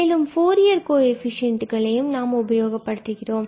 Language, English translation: Tamil, And these are exactly the Fourier coefficients of the function f